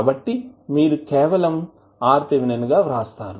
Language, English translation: Telugu, so, what you can write now